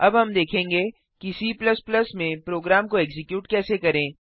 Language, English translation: Hindi, Now we will see how to execute the programs in C++